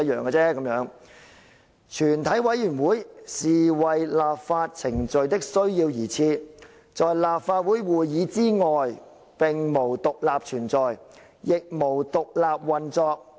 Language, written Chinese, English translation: Cantonese, 吳靄儀表示，"全體委員會是為立法程序的需要而設，在立法會會議之外無獨立存在，亦無獨立運作。, She adds A Committee of the Whole Council is established to meet the need of the legislative procedure; it does not independently exist or operate outside the meeting of the Legislative Council